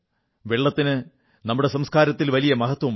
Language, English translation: Malayalam, Water is of great importance in our culture